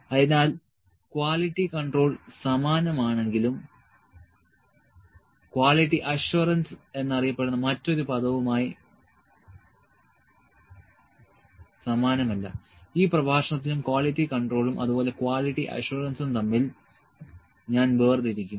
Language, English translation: Malayalam, So, quality control is similar to but not identical with than other term known as quality assurance, I will differentiate between the quality control and quality assurance is this in this lecture as well